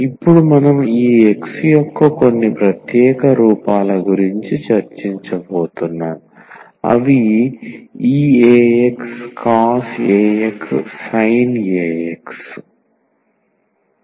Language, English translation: Telugu, Now, we will be talking about some special forms of this X for instance e power a x cos a x sin a x etcetera